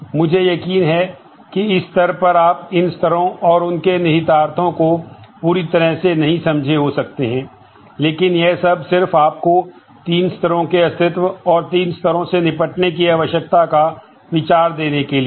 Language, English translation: Hindi, I am sure at this stage you may not understand the whole of these levels and their implications, but this is just to give you an idea of the existence of three levels, and the need to deal with the three levels